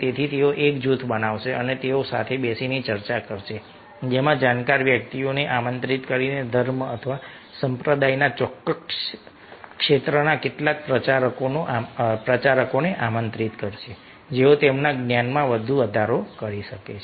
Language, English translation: Gujarati, so they will form a group and they will sit together, discuss together, having discourse, inviting a knowledgeable person, inviting some ah preachers in that particular area of religion or sect who can further enhance their knowledge